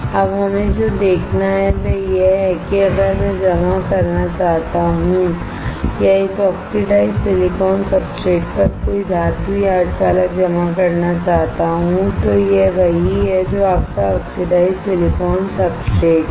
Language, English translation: Hindi, Now, what we have to see is if I deposit or if I want to deposit a metal or a semiconductor on this oxidized silicon substrate this is what is your oxidized silicon substratet